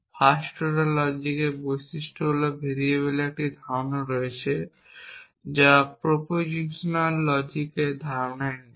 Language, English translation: Bengali, The characteristics feature of first order logic is there is a notion of variable which is not there in the notion of proposition logic